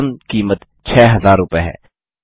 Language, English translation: Hindi, The maximum cost is rupees 6000